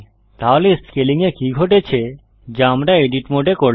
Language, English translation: Bengali, So what happened to the scaling we did in the edit mode